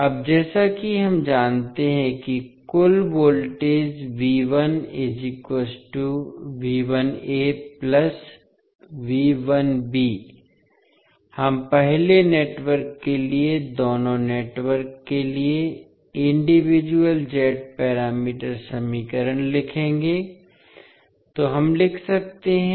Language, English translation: Hindi, Now, as we know that the total voltage V 1 is nothing but V 1a plus V 1b, we will first write the individual Z parameter equations for both of the networks for network A what we can write